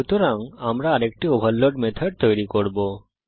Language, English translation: Bengali, Let us now see how to overload method